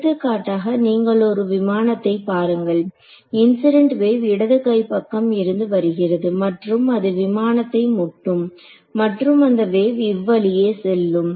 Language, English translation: Tamil, For example, if you look at this aircraft over here let us say the incident wave is coming from the left hand side like this its possible that you know it hits this aircraft over here and the wave goes off in this direction right